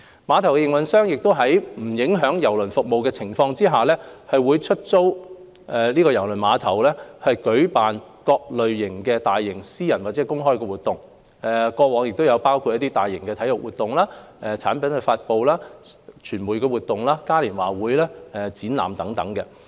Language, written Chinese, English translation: Cantonese, 碼頭營運商亦會在不影響郵輪服務的情況下，出租郵輪碼頭舉辦各類大型私人或公開的活動，包括大型體育活動、產品發布、傳媒活動、嘉年華會和展覽等。, Without affecting cruise service the terminal operator would lease out KTCT to hold various large scale private or public events eg . sport activities product launches media functions carnivals exhibitions etc